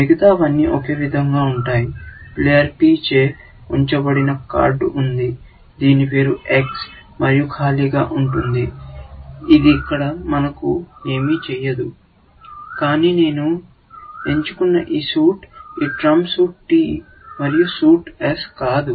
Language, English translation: Telugu, Everything else will be the same that there is a card, held by player P, whose name is X, and blank; we are not bothered about here, but this suit that I am selecting is this trump suit T, and not the suit s, which I have said here